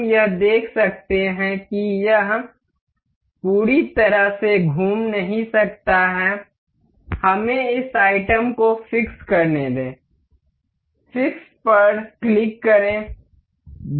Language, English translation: Hindi, We can see it has a it cannot rotate fully, let us just fix this item ok; click on fix